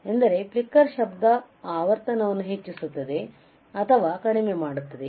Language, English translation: Kannada, So, flicker noise it increases the frequency decreases right